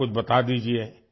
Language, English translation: Urdu, Tell me a bit